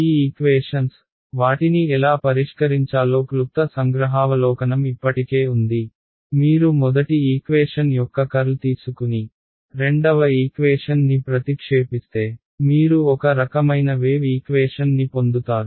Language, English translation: Telugu, These equations, we already had brief glimpse of how to solve them it was simple you take curl of first equation, substitute the second equation; you get a you will get a kind of wave equation